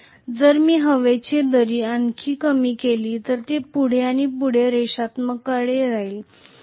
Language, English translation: Marathi, If I reduce the air gap further and further it will go further and further towards non linearity